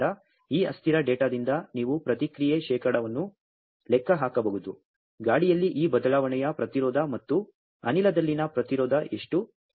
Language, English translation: Kannada, So, you can calculate the response percent from this transient data that how much is this change resistance in air and resistance in gas